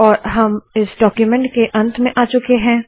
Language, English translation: Hindi, And we have come to the end of this document